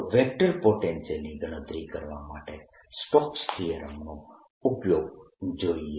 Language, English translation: Gujarati, so use the vector potential of stokes theorem to calculate vector potential